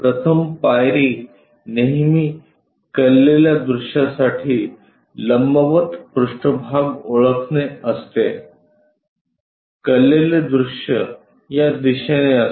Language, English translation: Marathi, First step is always be identify surfaces perpendicular to the inclined view, the inclined view is in this direction